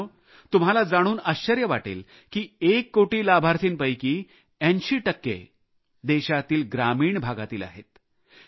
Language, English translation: Marathi, you will be surprised to know that 80 percent of the one crore beneficiaries hail from the rural areas of the nation